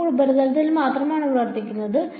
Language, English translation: Malayalam, This is actually now operating only on the surface